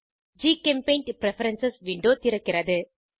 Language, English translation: Tamil, GChemPaint Preferences window opens